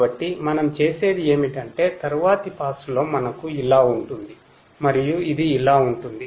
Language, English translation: Telugu, So, then what we do is we will in the next pass we will have like this 3 4 5 3 4 5 and this one will be like this ok